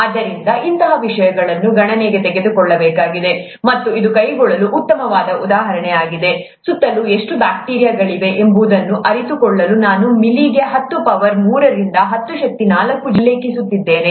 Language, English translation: Kannada, So, such things need to be taken into account, and it is also a nice exercise to carry out, to realize how much bacteria is present around, I did mention ten power three to ten power four organisms per ml